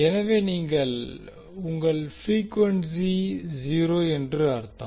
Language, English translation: Tamil, So it means that your frequency is 0